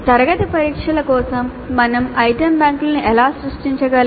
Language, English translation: Telugu, Then the class tests, how do we create item banks for the class test